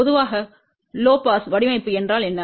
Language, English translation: Tamil, Generally, what is a low pass design